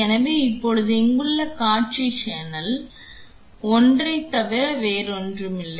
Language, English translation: Tamil, So, now, the display here shows one which is nothing but channel 1